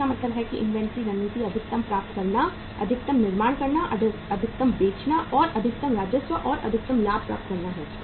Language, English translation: Hindi, So it means the inventory strategy is to acquire maximum, manufacture maximum, sell maximum and to attain maximum revenue and the maximum profits